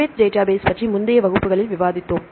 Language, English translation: Tamil, PUBMED database right now we discussed in the previous class previous classes right